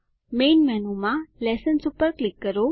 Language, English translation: Gujarati, In the Main menu, click Lessons